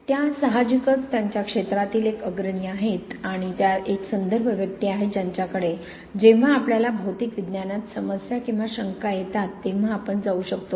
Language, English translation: Marathi, She is, she is obviously a leader in her field and she is the reference person that we can go to when we have problems or doubts in material science